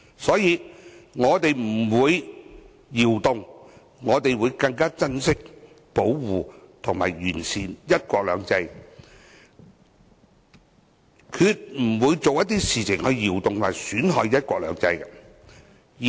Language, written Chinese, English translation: Cantonese, 所以，我們不會動搖，反而會更珍惜、保護和完善"一國兩制"，決不會做出一些動搖和損害"一國兩制"的事情。, Therefore we will not waver but will cherish protect and perfect one country two systems; and we will do nothing to disrupt and ruin the implementation of one country two systems